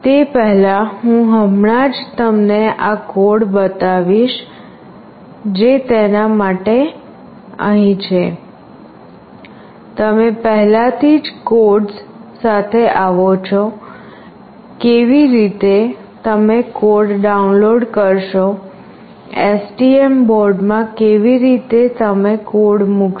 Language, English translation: Gujarati, Prior to that I will just show you the code that is there for this one, you already come across with the codes, how you have to download the code, how you have to put the code into the STM board